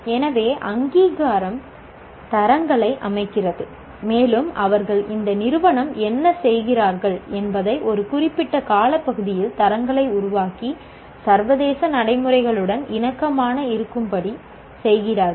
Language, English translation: Tamil, So accreditation sets the quality standards and also what they do, this agency will over a period of time will keep evolving the quality standards and make it compatible with international practices